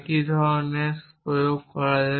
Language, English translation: Bengali, The same kind of strategy is come into play